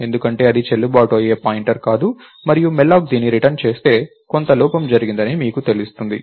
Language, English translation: Telugu, Because, its not any valid pointer and malloc if it returns that you know that there is some error that happened